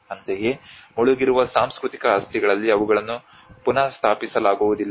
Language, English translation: Kannada, Similarly, in the cultural properties which has been submerged they are not restored